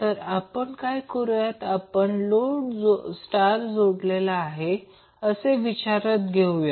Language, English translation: Marathi, So what we will do we will assume that we have the load as star connected